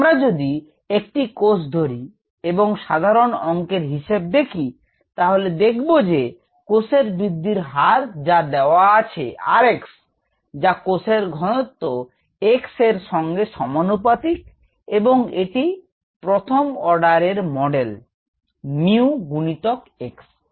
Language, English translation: Bengali, if we consider single cell, the simplest mathematical representation or a mathematical model is as follows: the rate of cell growth, as given by r x, is directly proportional to the cell concentration, x, first order model, or equals a certain mu into x